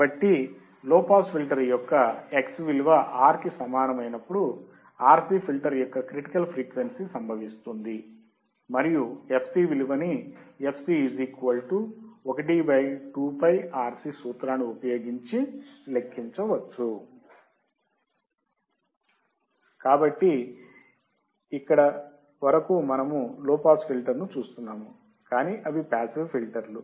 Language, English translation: Telugu, So, critical frequency of a low pass filter, RC filter occurs when X equals to R and can be calculated using the formula fc= 1/(2ΠRC) So, until here what we were looking at low pass filter, but that were passive filters